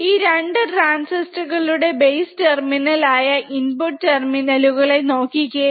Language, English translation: Malayalam, See, the input terminals which are the base terminals of 2 transistor